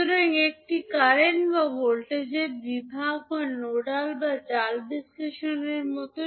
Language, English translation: Bengali, So, that is like a current or voltage division or nodal or mesh analysis